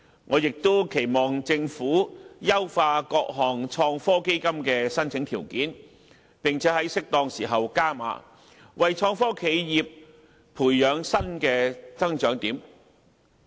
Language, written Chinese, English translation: Cantonese, 我亦期望政府優化各項創科基金的申請條件，並且在適當時候"加碼"，為創科企業培養新的增長點。, I also hope that the Government can perfect the requirements governing applications for various IT funds and make further capital injection at appropriate times so as to nurture new growth areas for IT enterprises